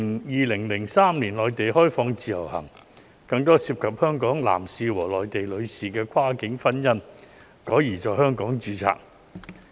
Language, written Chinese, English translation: Cantonese, 2003年，內地實施自由行，於是便有更多香港男士和內地女士的跨境婚姻改在香港註冊。, Since the implementation of the Individual Visit Scheme in the Mainland in 2003 more cross - boundary marriages between Hong Kong males and Mainland females were registered in Hong Kong